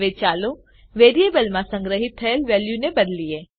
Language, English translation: Gujarati, Now let us change the value stored in the variable